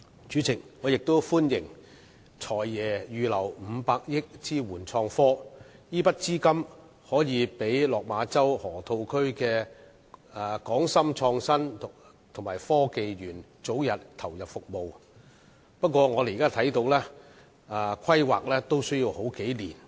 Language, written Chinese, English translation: Cantonese, 主席，我亦歡迎"財爺"預留500億元支援創科，這筆資金可讓落馬洲河套區的港深創新及科技園早日投入服務，但我們看到單是規劃也需時數年。, Chairman I welcome the Financial Secretary setting aside 50 billion for supporting innovation and technology development . The provision will enable the Hong Kong - Shenzhen Innovation and Technology Park the Park to come into operation as early as possible yet we notice that the planning of the Park alone will take several years